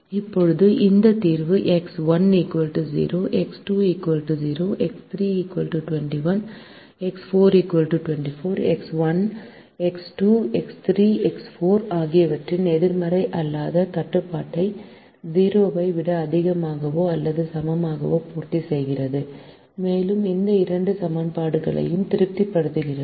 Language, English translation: Tamil, now this solution x one equal to zero, x two equal to zero, x three equal to twenty one, x four equal to twenty four satisfies the non negativity restriction of x one, x two, x three, x four greater than or equal to zero and also satisfies these two equations which are now the constraints